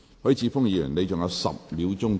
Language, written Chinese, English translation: Cantonese, 許智峯議員，你還有10秒答辯。, Mr HUI Chi - fung you still have 10 seconds to reply